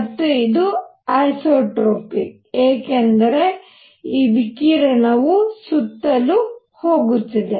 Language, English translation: Kannada, And this radiation is going all around because isotropic